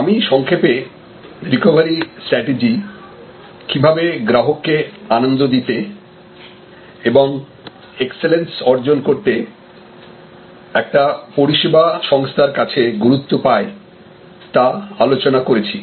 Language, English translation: Bengali, And I had briefly discussed, that how important the recovery strategy is for a services organization to attend the level of customer delight and excellence